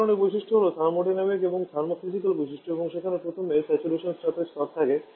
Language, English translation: Bengali, One kind of properties of a thermodynamic and thermos physical properties and their first is the saturation pressure levels